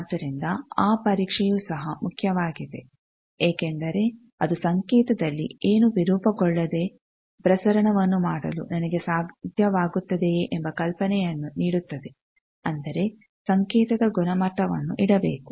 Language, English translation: Kannada, So, that testing is also important because that will give me an idea whether I will be able to do the transmission without any distortion in the signal that means, quality of the signal should be kept